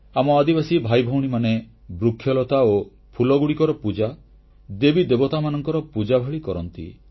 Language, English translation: Odia, Our tribal brethren worship trees and plants and flowers like gods and goddesses